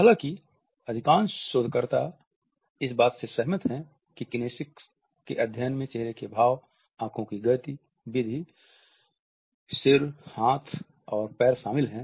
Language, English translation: Hindi, However, most of the researchers agree that the study of kinesics include facial expressions, movement of eyes, head, hand, arms, feet and legs